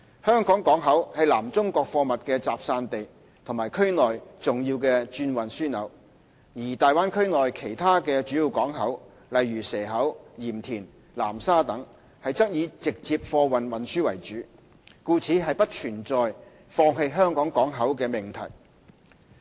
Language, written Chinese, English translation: Cantonese, 香港港口是南中國貨物的集散地和區內重要轉運樞紐，而大灣區內的其他主要港口則以直接貨物運輸為主，故不存在放棄香港港口的命題。, While HKP is a distribution centre for goods in South China and a major transshipment hub in the region other major ports in the Bay Area are mainly involved in handling direct cargo and hence there is no question of abandoning HKP